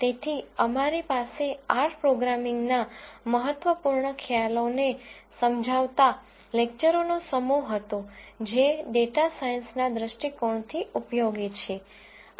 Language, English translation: Gujarati, So, we had a set of lectures explaining the important concepts of R programming that are useful from a data science viewpoint